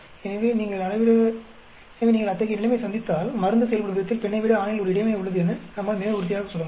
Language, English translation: Tamil, So, if you come across such a situation, we can very confidently tell that, there is an interaction between the way the drug responds on male as against on female